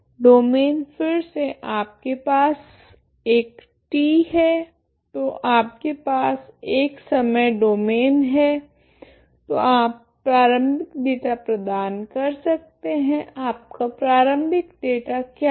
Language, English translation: Hindi, Domain is again you have a T so you have a time domain so initial data you can provide, what is your initial data